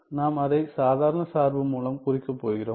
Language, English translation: Tamil, We I am going to denote it by ordinary function right